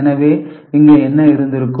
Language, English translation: Tamil, So, what would have been the case here